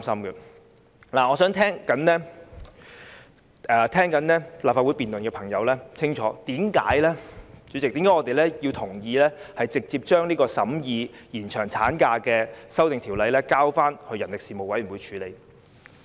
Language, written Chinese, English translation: Cantonese, 主席，我想向正在聆聽立法會辯論的朋友說清楚，我們為何同意直接把延長產假修訂的《條例草案》交付人力事務委員會處理。, President I want to explain to the people who are listening to this Legislative Council debate why we agree to directly refer the Bill concerning the amendment proposal on extending the maternity leave to the Panel on Manpower